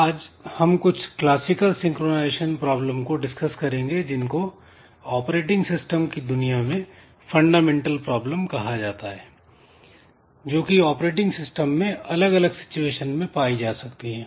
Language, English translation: Hindi, So, today we will be looking into some classical synchronization problems that is some problems which are, which have been acknowledged worldwide by operating system fraternity that these are some fundamental problems that can occur in many situations in an operating system